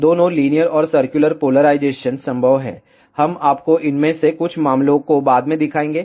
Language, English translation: Hindi, Both linear and circular polarizations are possible, we will show you some of these cases later on